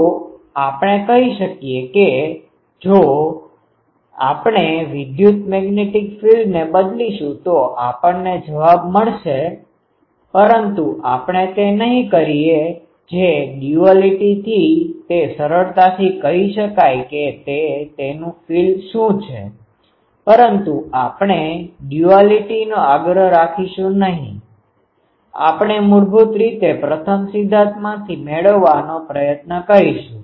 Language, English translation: Gujarati, So, we can say that if we change the electrical magnetic field; we get the answer, but we will not do that ah from duality it can be easily said what it will be its field, but we own think of duality we will try to derive the from the basic first principle